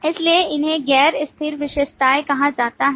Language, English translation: Hindi, So these are called non static features